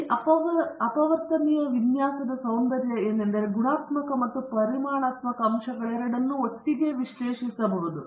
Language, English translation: Kannada, And one another beauty of this factorial design is both qualitative and quantitative factors may be analyzed together